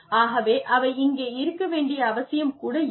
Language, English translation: Tamil, So, maybe, they do not even need to be here